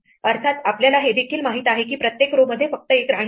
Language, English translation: Marathi, Of course, we also know that there is only one queen per row